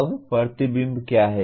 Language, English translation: Hindi, Now what is reflection